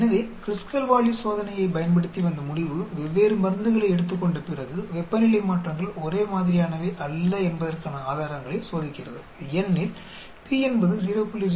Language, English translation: Tamil, So, the conclusion using the Kruskal Wallis test the evidence to suggest that the temperature changes after taking the different drugs are not the same because, p comes out to be 0